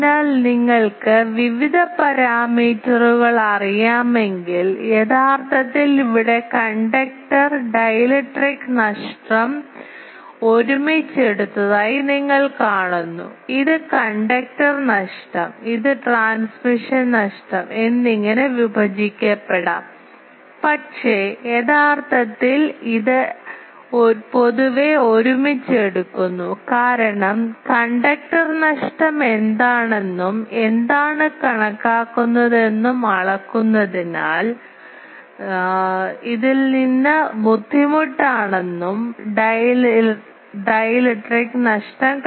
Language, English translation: Malayalam, Actually here only you see the conductor dielectric loss together has been taken, it can be also broken into conductor loss and transmission loss, but actually it is generally taken together because it is very difficult to from measurement to find out what is conductor loss and what is dielectric loss